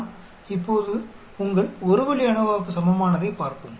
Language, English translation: Tamil, Now let us look at equivalent to your one way ANOVA